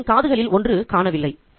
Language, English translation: Tamil, One of the animal's ears was missing